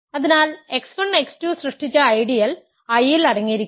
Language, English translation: Malayalam, So, the ideal generated by x 1 x 2 is contained in I